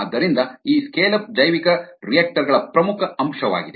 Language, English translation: Kannada, ok, so this scale up is an important aspect of bioreactors